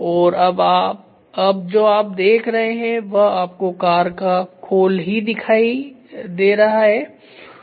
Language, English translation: Hindi, And now what you see is you see only the shell of the car; shell of the car